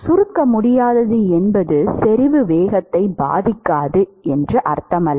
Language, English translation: Tamil, Incompressible does not mean necessarily that the concentration does not affect the velocity